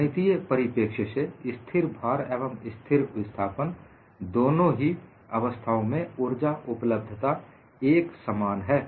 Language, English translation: Hindi, So, from a mathematical perspective, the energy availability in the case of both constant loading and constant displacement is same